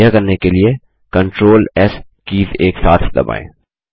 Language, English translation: Hindi, Press the CTRL+S keys together to do this